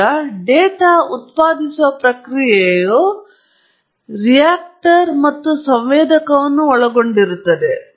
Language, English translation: Kannada, Now, the data generating process consists of both the reactor and the sensor